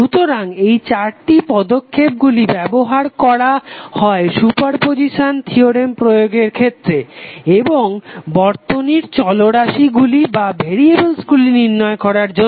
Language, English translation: Bengali, So these 4 steps are utilize to apply the super position theorem and finding out the circuit variables